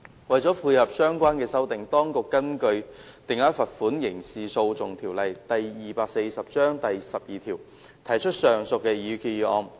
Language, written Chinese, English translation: Cantonese, 為配合相關修訂，當局根據《定額罰款條例》第12條，提交上述擬議決議案。, In tandem with such amendments the Administration has tabled the said proposed resolution under section 12 of the Fixed Penalty Ordinance Cap